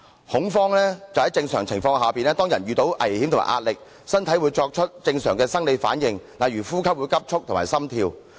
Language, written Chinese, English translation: Cantonese, 恐慌就是在正常情況下，當人遇到危險和壓力，身體會作出正常的生理反應，例如呼吸急速和心跳。, Panic refers to the normal physiological reactions of the human body to danger and stress such as shortness of breath and an increased heart rate